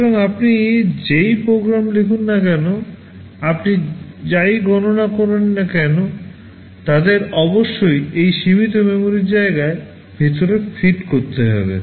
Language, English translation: Bengali, So, whatever program you write, whatever computation you do they must fit inside that limited memory space